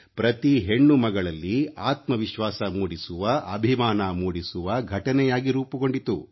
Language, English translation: Kannada, It became an incident to create a new selfconfidence and a feeling of self pride in every daughter